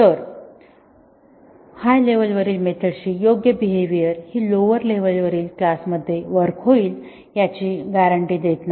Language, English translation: Marathi, So, the correct behavior of a method at upper level does not guarantee that the method will behave at a lower level class